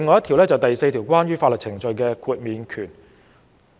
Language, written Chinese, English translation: Cantonese, 《條例》第4條關於法律程序的豁免權。, Section 4 of the Ordinance is about immunity from legal proceedings